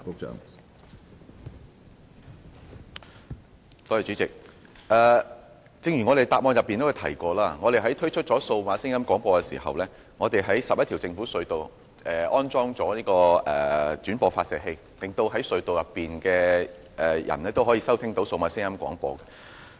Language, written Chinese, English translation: Cantonese, 主席，正如主體答覆中提及，當局在推出數碼廣播後，在11條政府隧道安裝了轉播發射器，令隧道內的人士都可以收聽到數碼廣播。, President as I have mentioned in the main reply after the introduction of DAB services the authorities have constructed re - broadcasting systems in 11 government tunnels so that users of the tunnels can listen to DAB programmes